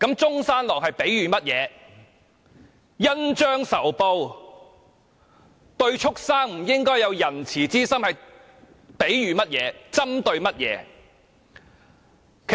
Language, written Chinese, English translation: Cantonese, 他說的恩將仇報，對畜牲不應有仁慈之心，又是比喻甚麼、針對甚麼？, What was his point in using the metaphor about repaying kindness with evil and refraining from being kind to creatures?